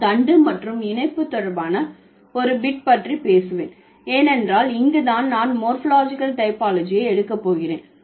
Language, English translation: Tamil, So, I'll just talk about a bit related to stem and affix because this is where I am going to take up the morphological typology thing